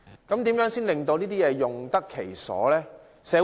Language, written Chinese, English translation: Cantonese, 如何令這些設施用得其所？, How can these facilities be put to effective use?